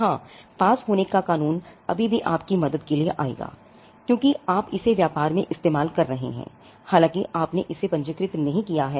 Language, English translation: Hindi, Yes, the law of passing of will still come to your help, because you have been using it in trade, though you have not registered it